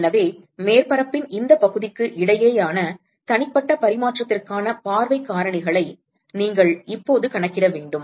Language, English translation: Tamil, And so, you want to now calculate the view factors for individual exchange between these fraction of the surface